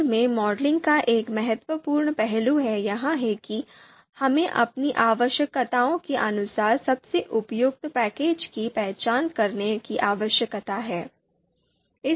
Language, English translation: Hindi, So one important aspect of you know modeling in R is that we need to identify the relevant package, most appropriate package as per our requirements